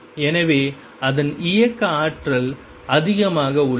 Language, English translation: Tamil, So, its kinetic energy is higher